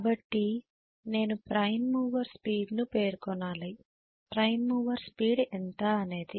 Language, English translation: Telugu, So I may specify even here we would specify prime mover speed, what is going to be the prime mover speed